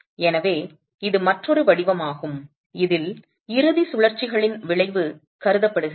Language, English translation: Tamil, So, this is another format in which the effect of end rotations has been considered